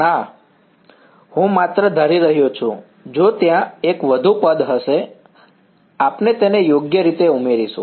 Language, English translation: Gujarati, No, I am just assuming, if there was, there will be one more term we will add it right